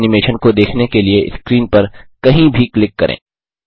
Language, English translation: Hindi, Then click anywhere on the screen to view the animation